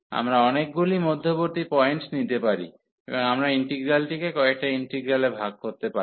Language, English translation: Bengali, We can take many intermediate points and we can break the integral into several integrals